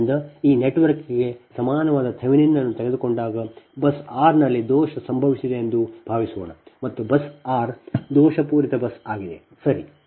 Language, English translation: Kannada, and that when we take the thevenin equivalent, when we take the thevenin equivalent of this network, suppose fault has occurred at bus r, bus r is a faulted bus, right